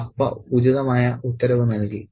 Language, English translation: Malayalam, Appa gave the appropriate order